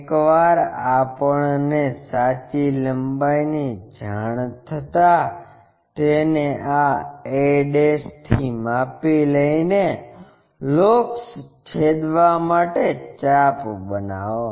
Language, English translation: Gujarati, Once, we know that true length measure it from a' make an arc to cut this locus